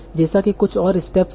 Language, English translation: Hindi, Like that there are some other steps